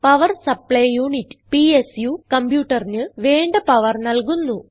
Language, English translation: Malayalam, Power Supply Unit, also called PSU, supplies power to the computer